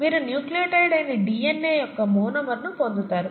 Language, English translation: Telugu, You get the monomer of DNA which is a nucleotide